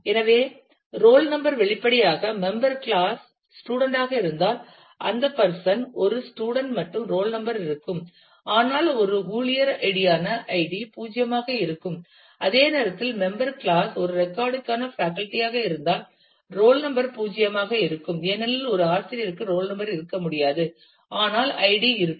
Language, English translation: Tamil, So, the roll number ah; obviously, if it is if the member class is student then the person is a student and the roll number will exist, but the id which is an employee id will be null and at the same time if member class is a faculty for a record then the roll number will be null because, a faculty cannot have a roll number, but the id will be present